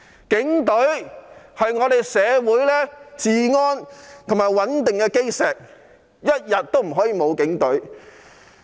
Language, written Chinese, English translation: Cantonese, 警隊是社會治安和穩定的基石，不可以一天沒有警隊。, The Police Force is the cornerstone for public order and stability and we cannot do without the Police Force for one day